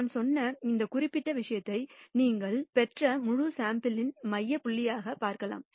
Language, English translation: Tamil, This particular thing as I said can be viewed as a central point of the entire sample that you have got